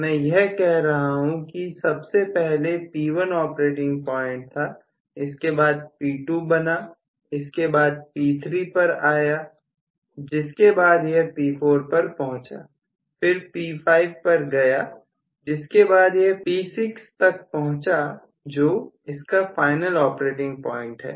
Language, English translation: Hindi, From which it stepped up to this particular value then from here so I can say this was the operating point P1 then it came to P2 then it came to P3 from there it came to P4 then it went to P5 from there it when to P6 which is the final operating point